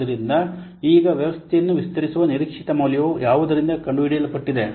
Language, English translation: Kannada, So now the expected value of extending the system is found out by what